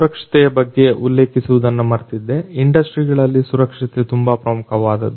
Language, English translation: Kannada, One more thing that I forgot to mention earlier is what about safety, safety is very important in most of the industries